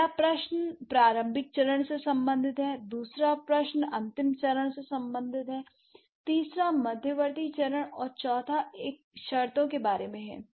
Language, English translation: Hindi, So, first question is related to the initial stage, second question is related to the final stage, third is about the intermediate stage and fourth one is about the conditions